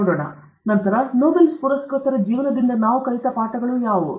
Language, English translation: Kannada, Then, what are the lessons we learned from lives of Nobel Laureates